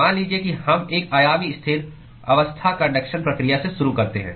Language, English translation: Hindi, Let us say we start with a one dimensional steady state conduction process